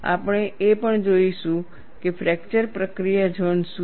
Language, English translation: Gujarati, And what is the fracture process zone